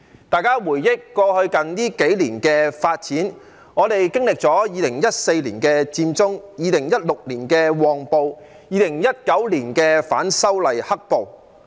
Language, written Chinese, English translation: Cantonese, 大家回憶過去數年的發展，我們經歷了2014年的佔中、2016年的"旺暴"及2019年的反修例"黑暴"。, Let us recall the development in the past few years . We have experienced the Occupy Central movement in 2014 the Mong Kok riot in 2016 and the black - clad violence during the movement of opposition to the proposed legislative amendments in 2019